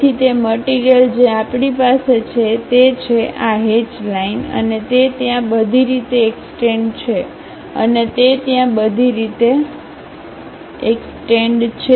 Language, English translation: Gujarati, So, that material what we are having is these hatched lines and that extends all the way there and that extends all the way there